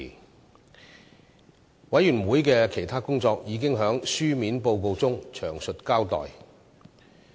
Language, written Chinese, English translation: Cantonese, 事務委員會的其他工作已在書面報告中詳細交代。, A detailed account of the other work of the Panel can be found in the written report